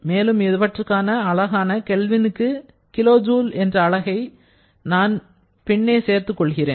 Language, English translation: Tamil, I should put the unit at the end, which is kilo joule per Kelvin